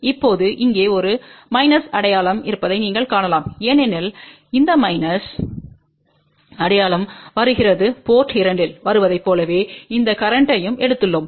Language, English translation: Tamil, Now, you might see there is a minus sign over here this minus sign is coming because we have taken this current as in coming at port 2